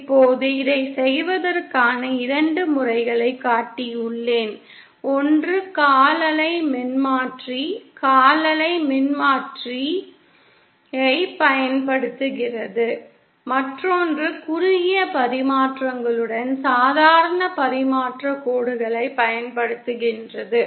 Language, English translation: Tamil, Now I have shown 2 methods of doing this, one using quarter wave transformer quarter wave transformer and the other using normal transmission lines along with shorted stubs